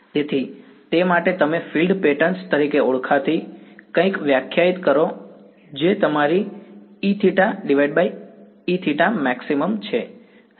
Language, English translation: Gujarati, So, to that end you define something called a field pattern which is your E theta divided by E theta max